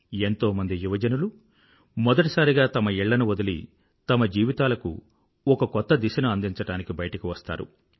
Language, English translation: Telugu, This multitude of young people leave their homes for the first time to chart a new direction for their lives